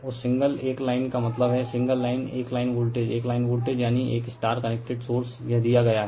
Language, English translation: Hindi, That single one line means single line one line voltage, one line voltage I mean one is star connected source is given this right